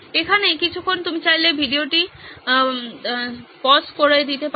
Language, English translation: Bengali, A moment here you can pause the video if you want